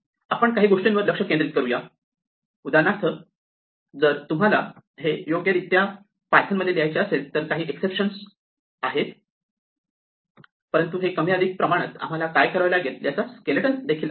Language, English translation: Marathi, So, we have glossed over little few things for instance typically where if you want to really write this properly in python way we have to use some exceptions and all that, but this is more or less the skeleton of what we need to do